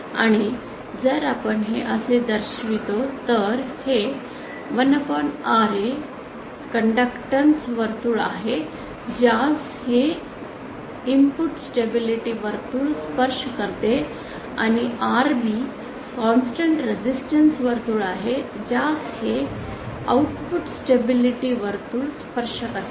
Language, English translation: Marathi, And if we show it like this so this the so 1 upon Ra is the conductance circle which this input stability circle is touching and Rb is the constant resistance circle that this output stability circle is touching